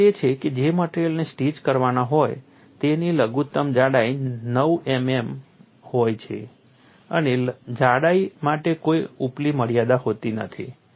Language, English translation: Gujarati, The requirement is the minimum thickness of the material to be stitched is nine millimeters and no upper limit for thickness